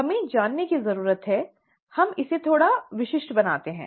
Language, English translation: Hindi, We need to know, okay let us make it a little more specific